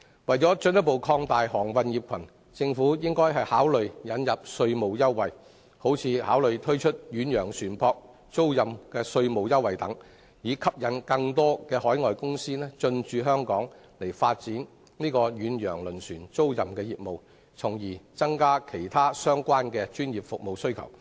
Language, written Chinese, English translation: Cantonese, 為進一步擴大航運業群，政府應考慮引入稅務優惠，例如推出遠洋船舶租賃稅務優惠等，以吸引更多海外公司進駐香港發展遠洋輪船租賃業務，從而增加對其他相關專業服務的需求。, To further expand the maritime cluster the Government should consider introducing tax concessions . For example tax concession in respect of ocean - going ship chartering can be introduced to attract more overseas companies to develop ocean - going ship chartering business in Hong Kong thereby increasing their demand for other related professional services